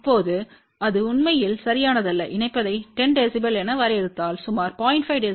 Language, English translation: Tamil, Now that is not correct actually if you define coupling as 10 db then approximately 0